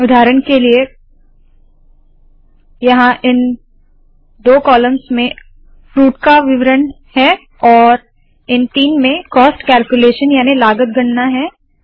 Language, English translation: Hindi, For example, here these two columns have fruit details and these three have cost calculations